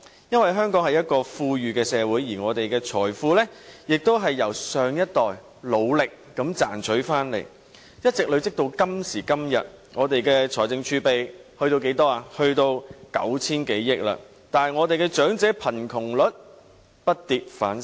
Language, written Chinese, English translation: Cantonese, 因為香港是一個富裕的社會，而我們的財富亦是由上一代努力地賺回來，一直累積至今時今日，香港的財政儲備達至 9,000 多億元，但香港的長者貧窮率卻不跌反升。, Hong Kong is an affluent society . Our wealth today is an accumulation of the hard work of the previous generations over many years in the past . Today the fiscal reserve of Hong Kong has reached 900 - odd billion yet the poverty rate of elders has not decreased but increased on the contrary